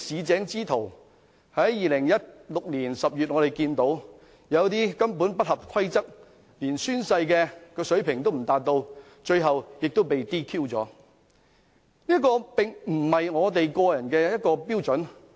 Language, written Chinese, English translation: Cantonese, 在2016年10月，我們看見有些人根本不合規則，連作出宣誓的水平也未達到，而他們最終亦被 "DQ"。, In October 2016 we saw some people actually act out of line not even able to take a proper oath and they were eventually DQ disqualified